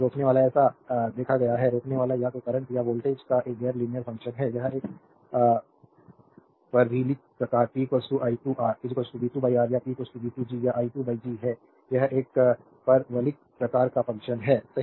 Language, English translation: Hindi, Resistor observed power so, power resistor is a non linear function of the either current or voltage this is it is a parabolic type p is equal to i square R is equal to v square by R or p is equal to v square G or i square by G it is a parabolic type of functions, right